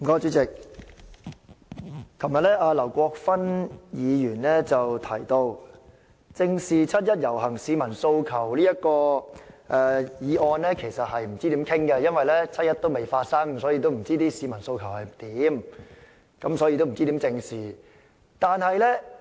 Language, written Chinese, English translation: Cantonese, 主席，劉國勳議員昨天說不知道該如何辯論"正視七一遊行市民的訴求"的議案，因為七一遊行尚未發生，不知道市民的訴求是甚麼，不知道該如何正視。, President Mr LAU Kwok - fan said yesterday that he did not know how to speak on the motion Facing up to the aspirations of the people participating in the 1 July march as the 1 July march has yet to take place and he did not know what the aspirations of the people were and how to face up to their aspirations